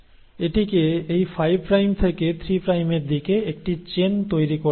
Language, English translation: Bengali, So it has to make a chain in this 5 prime to 3 prime direction